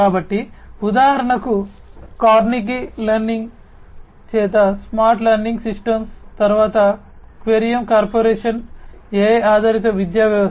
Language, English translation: Telugu, So for example, the smart learning systems by Carnegie Learning, then Querium Corporation AI based education system